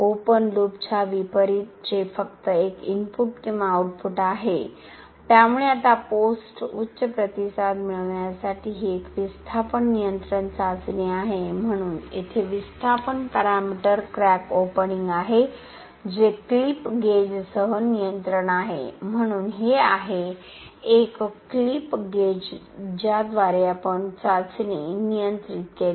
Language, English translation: Marathi, Unlike an open loop which is only an input and an output, so now this is a displacement control test in order to get the post peak response, so here is the displacement parameter is crack opening which is control with the clip gauge, so this is a clip gauge through which we controlled the test